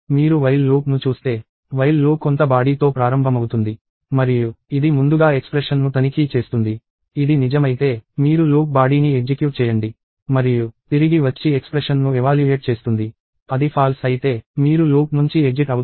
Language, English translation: Telugu, If you look at the while loop, the while loop starts with some body and it checks the expression first; if it is true, you execute the loop body and comeback and evaluate the expression; if it is false, you exit the loop